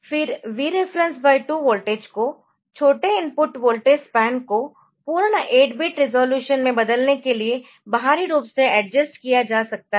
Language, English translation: Hindi, Then the voltage at Vref by 2 can be externally adjusted to convert smaller input voltage spans to full 8 bit resolution